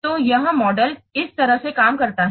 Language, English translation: Hindi, So this model works like this